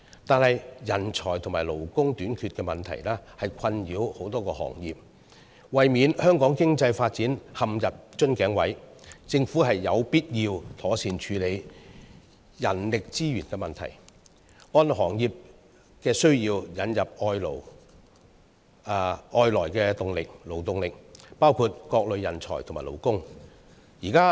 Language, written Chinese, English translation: Cantonese, 可是，人才和勞工短缺問題困擾多個行業，為免香港的經濟發展陷入瓶頸，政府有必要妥善處理人力資源的問題，按行業需要引入外來勞動力，包括各類人才和勞工。, However the shortage of talent and labour has plagued many industries . In order to prevent Hong Kongs economic development from being caught in a bottleneck it is imperative for the Government to properly deal with the issue of human resources and introduce labour from other places including various types of talents and workers according to industry needs